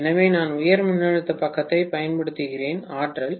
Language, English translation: Tamil, So, I am using the high voltage side for energising, right